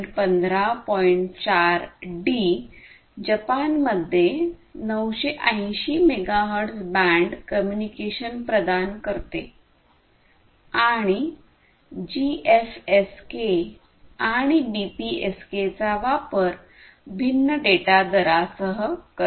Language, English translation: Marathi, Then you have the d variant which basically provides 980 megahertz band communication in Japan and here it uses the GFSK and BPSK with different, you know, data rates